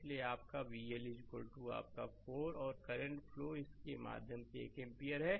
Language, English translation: Hindi, Therefore, your V l is equal to your 4 and current flowing through this is 1 ampere